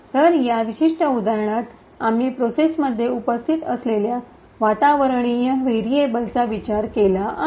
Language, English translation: Marathi, So, in this particular example over here we have considered the environment variables that is present in the process